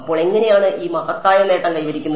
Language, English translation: Malayalam, So, how is this great feat achieved